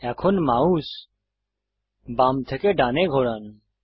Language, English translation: Bengali, Now move the mouse left to right